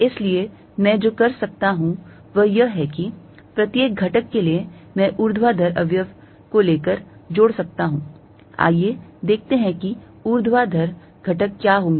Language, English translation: Hindi, So, what I can do is, for each element I can take the vertical component add it up, let us see what the vertical component is going to be